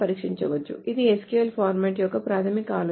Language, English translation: Telugu, So this is the basic idea of a SQL format